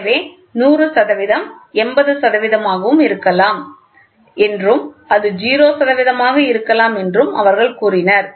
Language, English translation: Tamil, So, they said 100 percent may be 80 percent and it had 0 percent